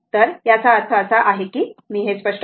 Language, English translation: Marathi, So, let that means, let me clear it